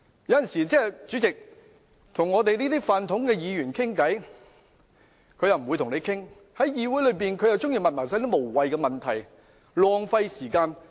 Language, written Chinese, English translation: Cantonese, 有時我們想與這些"泛統"議員傾談，他們卻拒絕，但又喜歡在議會提出這類無聊問題浪費時間。, Sometimes we wish to talk to these PUF - democratic Members . But they refuse to talk to us . However they like to waste time by raising these frivolous questions in the Council